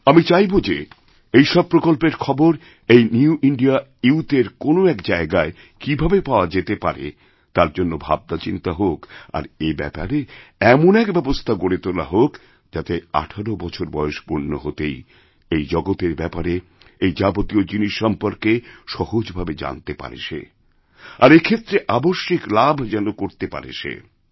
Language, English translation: Bengali, I wish that the New India Youth get information and details of all these new opportunities and plans at one place and a system be created so that every young person on turning 18 should automatically get to know all this and benefit from it